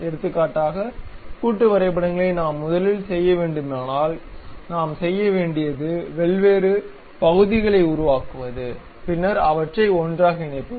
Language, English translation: Tamil, So, for example, if we have to do assembly drawings first of all what we have to do is construct different parts, and then join them together